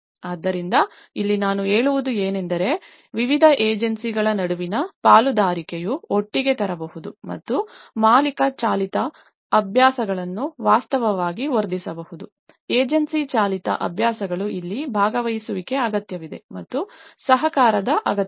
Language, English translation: Kannada, So, here what I mean to say is the partnership between various agencies can bring together and can actually enhance the owner driven practices also, the agency driven practices this is where the participation is required and the cooperation is required